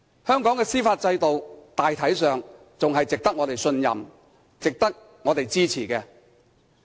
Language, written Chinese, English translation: Cantonese, 香港的司法制度大體上仍然值得我們信任，亦值得我們支持。, The judicial system of Hong Kong generally still commands our trust and merits our support . Having said that law enforcers are human beings too